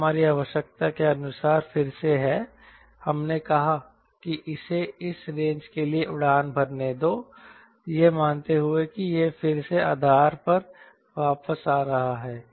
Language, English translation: Hindi, we said: ok, let it fly for this much of range, assuming that it is again coming back to the base